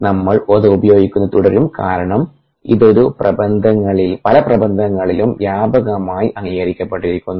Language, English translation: Malayalam, we will continue using that because its widely accepted that the literature